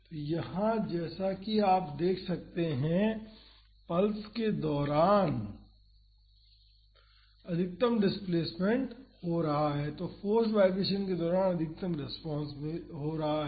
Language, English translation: Hindi, So, here as you can see the maximum displacement is happening during the pulse; so, the maximum response is happening during the forced vibration